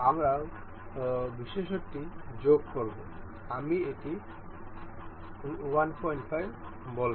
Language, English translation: Bengali, We will added the feature, I will make it say 1